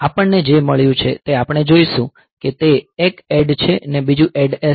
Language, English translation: Gujarati, So, we have got we will see one is ADD another is ADD S